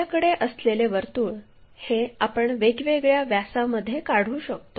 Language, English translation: Marathi, So, once we have a circle, we can construct different diameters